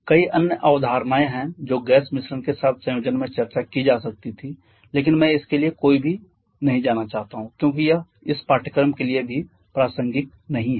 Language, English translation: Hindi, There are several other concept that could have been discussed in conjunction with gas mixtures, but I do not want to go any for that because that is not relevant to this course as well